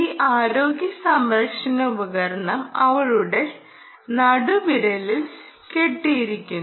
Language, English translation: Malayalam, ok, this healthcare device is strap to ah, her middle finger